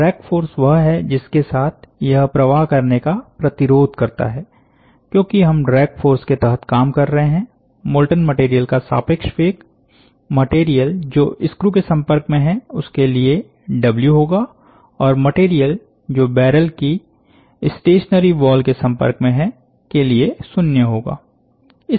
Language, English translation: Hindi, Since we are operating under drag flow, the relative velocity of the molten material will be W for the material, that is in contact with the screw and 0 for the material in contact with the stationary wall of the barrel